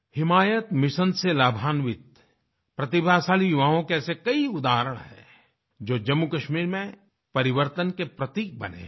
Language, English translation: Hindi, There are many examples of talented youth who have become symbols of change in Jammu and Kashmir, benefiting from 'Himayat Mission'